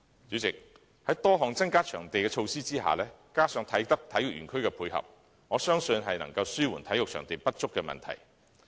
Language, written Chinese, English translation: Cantonese, 主席，在多項增加場地的措施下，加上啟德體育園區的配合，我相信能紓緩體育場地不足的問題。, President given the numerous initiatives to provide additional venues coupled with the complementary effect of the Kai Tak Sports Park I believe the problem of inadequate sports venues can be ameliorated